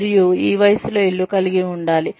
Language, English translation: Telugu, And, have a house, by this age